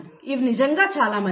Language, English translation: Telugu, They are really very nice